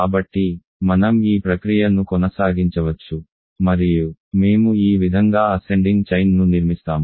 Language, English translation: Telugu, So, we can continue this process so and we construct and we construct an ascending chain, ascending chain of ideals in this way